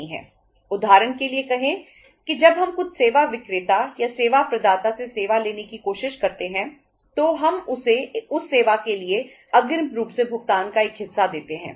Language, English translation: Hindi, Say for example when we try to have a service from some service vendor or service provider we pay him part of that service in advance